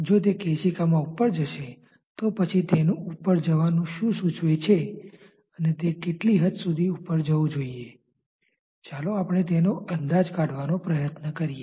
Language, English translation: Gujarati, If it rises over the capillary then what dictates its rising and to what extent it should rise, let us try to make an estimate of that